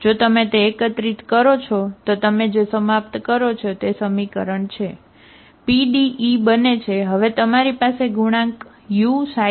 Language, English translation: Gujarati, If you collect that, what you end up is equation, the PDE becomes, now you have the coefficient u xi xi, the coefficient is whatever you get